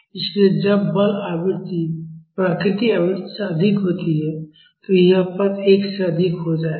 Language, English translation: Hindi, So, when forcing frequency is higher than the natural frequency, this term will become higher than 1